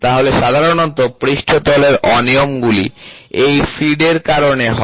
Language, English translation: Bengali, So, generally the surface irregularities are because of feed, ok